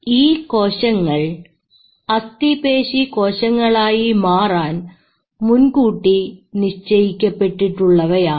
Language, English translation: Malayalam, These are predestined to become skeletal muscle